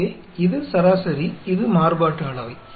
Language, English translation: Tamil, So, this is the mean; this is the variance